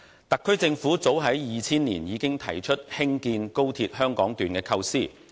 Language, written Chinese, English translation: Cantonese, 特區政府早於2000年已經提出興建高鐵香港段的構思。, The SAR Government proposed the idea of constructing the Hong Kong Section of XRL as far back as 2000